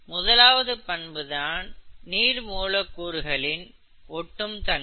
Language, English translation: Tamil, The first property is adhesion which is water molecules sticking together